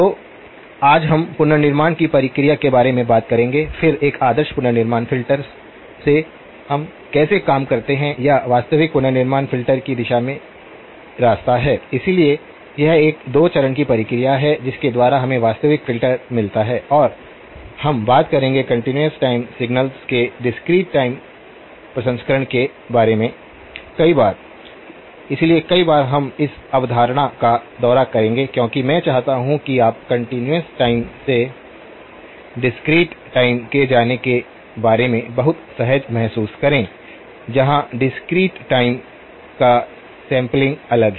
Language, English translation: Hindi, So, today we will talk about the process of reconstruction, then from an ideal reconstruction filter, how do we work, or way towards realisable reconstruction filter, so it is a 2 stage process by which we get the realisable filter and we will be talking several times about discrete time processing of continuous time signals, so multiple times we will visit this concept because I want you to feel very comfortable about going from continuous time to the discrete time where the discrete time sampling is different